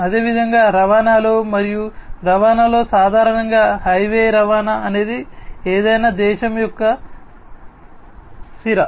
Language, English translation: Telugu, Similarly, in transportation as well transportation typically highway transportation is sort of the vein of any nation